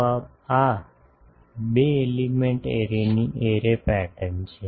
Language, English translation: Gujarati, So, this is a two element array